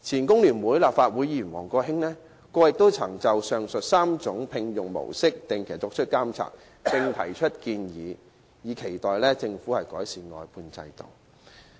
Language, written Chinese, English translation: Cantonese, 工聯會前立法會議員王國興先生過去亦曾就上述3類聘用模式作出定期監察，並提出建議，以期政府改善外判制度。, Mr WONG Kwok - hing a former Legislative Council Member from FTU has conducted regular monitoring of the aforesaid three employment models and put forward proposals in the hope that the Government can improve the outsourcing system